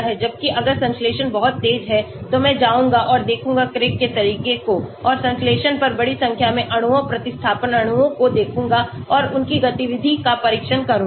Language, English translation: Hindi, Whereas if the synthesis is very fast I would go and look at the Craig approach and synthesis large number of molecules, substituent molecules and test their activity